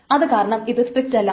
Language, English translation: Malayalam, So this is not strict